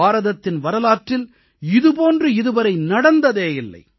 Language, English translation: Tamil, This is unprecedented in India's history